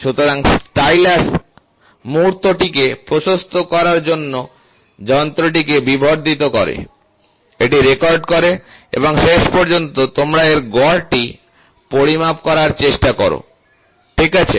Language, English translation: Bengali, And amplifying device for magnifying the stylus moment and record it and finally, you try to measure the mean of it, ok